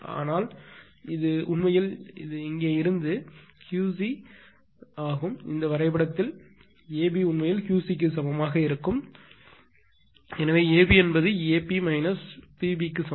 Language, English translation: Tamil, But this this is actually Q c from here to here that A B actually is equal to Q c in this diagram therefore, A B is equal to your ah your P your this one your AP this is actually your AP this AP minus PB